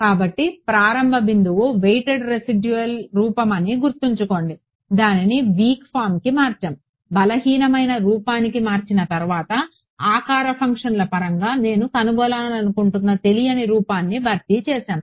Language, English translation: Telugu, So, remember as starting point was the weighted residual form we converted that to the weak form, after converting to weak form we substituted the form of the unknown that I want to find out in terms of shape functions